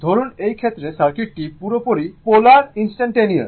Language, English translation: Bengali, Suppose, in this case, in this case circuit is purely polarity is instantaneous